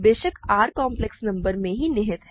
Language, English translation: Hindi, Of course, R is contained in complex numbers, right